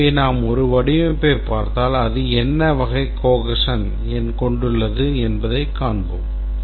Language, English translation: Tamil, And we want to look at all modules and see what type of cohesion are there